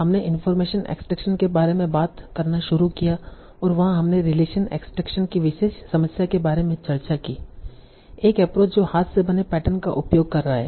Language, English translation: Hindi, So we started talking about information extraction and there we discussed a particular problem of relation extraction and we discussed some so one approach that is using handle patterns